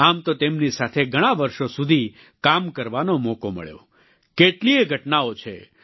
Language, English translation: Gujarati, I have had the opportunity to have worked with her for many years, there are many incidents to recall